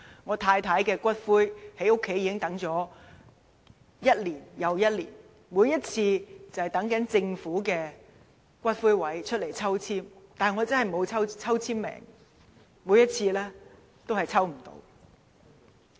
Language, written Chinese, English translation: Cantonese, 我太太的骨灰放在家裏已經一年又一年，每次都等政府的龕位抽籤，但我真的沒有抽籤運，每次都抽不中。, I have kept the ashes of my wife at home for many years . I am still waiting for a public niche but I never have any luck in balloting